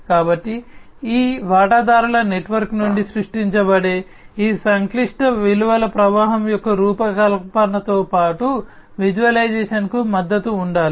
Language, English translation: Telugu, So, there should be support for the design as well as the visualization of this complex value stream that will be created from this stakeholder network